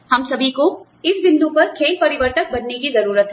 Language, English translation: Hindi, We all need to be, game changers, at this point